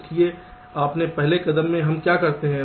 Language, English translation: Hindi, so in our first step what we do